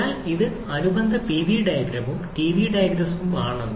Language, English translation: Malayalam, So, this is the corresponding Pv diagram and Ts diagram